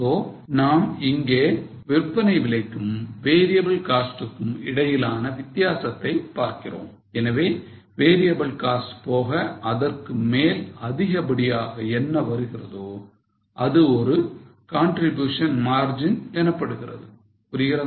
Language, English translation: Tamil, So, we find difference between sale price and variable cost and what extra you earn, extra over variable cost is known as a contribution margin